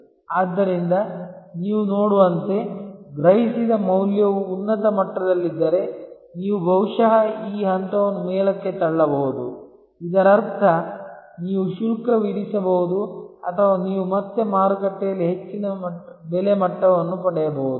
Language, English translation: Kannada, So, obviously as you can see that, if the value perceived is at a high level, then you can possibly push this point upwards, which means you can charge or you can get again a higher price level in the market place